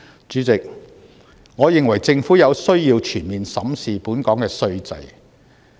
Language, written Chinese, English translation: Cantonese, 主席，我認為政府有需要全面審視本港稅制。, President in my opinion the Government needs to conduct a comprehensive examination of the tax regime in Hong Kong